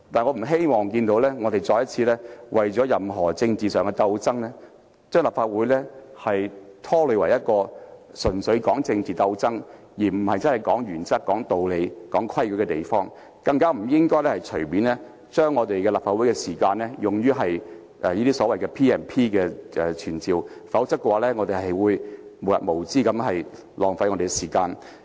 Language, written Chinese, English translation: Cantonese, 我不希望看到議員再次為任何政治上的爭鬥而拖累立法會，使之成為一個純粹作政治鬥爭而不是討論原則、道理及規矩的地方，更不應該隨意利用立法會的時間，引用賦予立法會權力及特權的條文提出傳召的要求，否則就會無日無之的浪費時間。, I do not want to see the Council being dragged down by any political strife among Members again . Members should not turn the Council from a place for discussing principles reasons and rules into a venue purely used for political struggles let alone use the Councils time arbitrarily to propose summoning motions under provisions conferring powers and privileges on the Council or else we will be wasting time endlessly